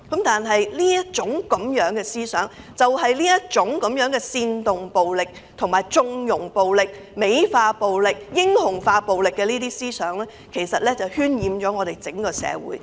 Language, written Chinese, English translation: Cantonese, 但這種思想，就是這種煽動暴力、縱容暴力、美化暴力及英雄化暴力的思想渲染了整個社會。, But it is this kind of idea of inciting violence condoning violence glorifying violence and heroizing violence which is polluting the entire community